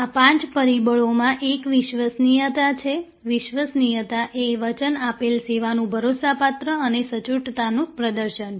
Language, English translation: Gujarati, These five factors are a reliability, reliability is the performance of the promised service dependably and accurately